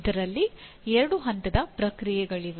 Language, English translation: Kannada, There are two step process